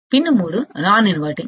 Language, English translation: Telugu, Pin 3 is non inverting